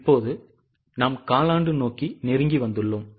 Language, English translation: Tamil, Now we have closed it for the quarter